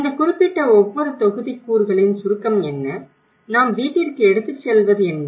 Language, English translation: Tamil, what is the gist of this particular each modules and what we are taking home